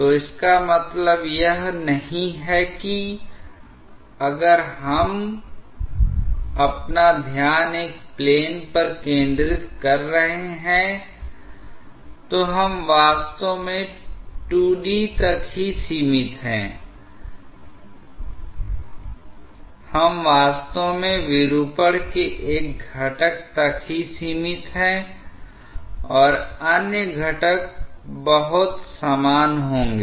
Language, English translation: Hindi, So, it does not mean that if we are focusing our attention on a plane, we are actually restricted to 2D, we are actually restricted to one component of the deformation and other components will be very similar